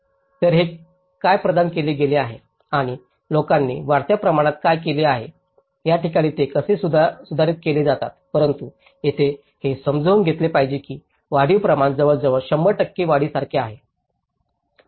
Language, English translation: Marathi, So, what it has been provided and what the people have made incrementally, how they are modified these places but here one has to understand it is like the incrementality is almost like 100 percent of increase